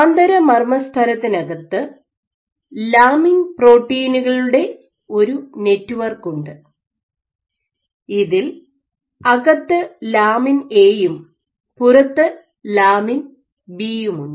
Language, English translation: Malayalam, So, inside the inner nuclear membrane you have the network of lamin proteins these include lamin A and B and outside